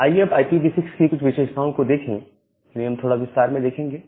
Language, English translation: Hindi, Well, now let us look into few features in IPv6; we look into a little detail